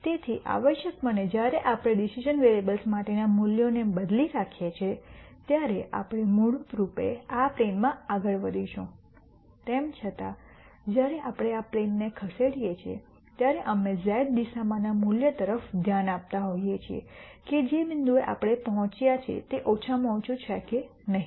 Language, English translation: Gujarati, So, essentially when we keep changing the values for the decision variables we are basically moving in this plane; however, while we are moving this plane we are looking at the values in the z direction to nd out whether the point that we have reached is a minimum or not